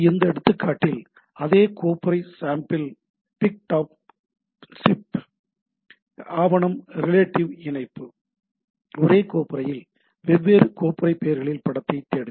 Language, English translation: Tamil, So, in this one example that same folder sample Pic dot gif document relative link; look for image in the same folder different folder names